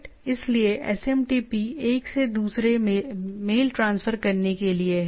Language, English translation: Hindi, So, SMTP is for transferring mail from one to another